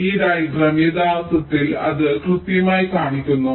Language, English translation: Malayalam, so this diagram actually shows that exactly